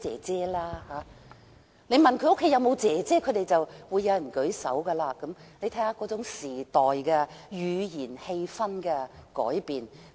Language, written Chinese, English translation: Cantonese, 問他們家中有沒有"姐姐"，便有人舉手，可見那種語言和氣氛已隨時代改變。, When I asked them who had sisters at home some of them raised their hands . It is evident that language and atmosphere have changed over time